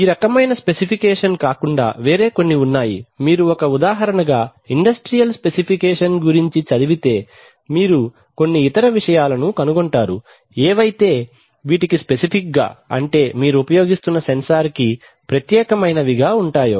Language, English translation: Telugu, There are some other there apart from these kind of specification they are typically if you read see an example industrial specification you will find some other things like which are which are specific to the which are, which are specific to the particular sensor that you are using